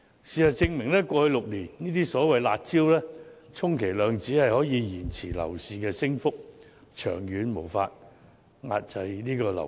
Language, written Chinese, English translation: Cantonese, 事實證明，過去6年推出的所謂"辣招"，充其量只能延遲樓市的升幅，長遠根本無法遏抑樓價。, It has been proven that the so - called curb measures introduced over the past six years could only at best defer the rise in property prices but have failed to curb the rise in the long run